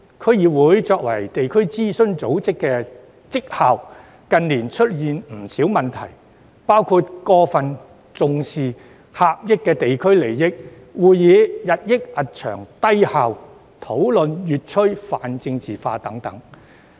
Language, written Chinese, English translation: Cantonese, 區議會作為地區諮詢組織的績效，近年出現不少問題，包括過分重視狹隘地區利益、會議日益冗長、低效，以及討論越趨泛政治化等。, In recent years there have been many problems regarding the performance of District Councils as district - based advisory bodies including an overemphasis on the narrow district interests increasingly lengthy and ineffective meetings and increasingly politicized discussions